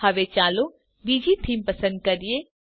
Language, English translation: Gujarati, Now let us choose another theme